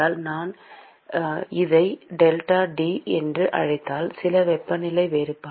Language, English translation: Tamil, So, if I call this as delta T some temperature difference